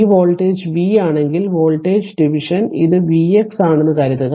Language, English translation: Malayalam, Suppose if this voltage is v right then voltage division this is v x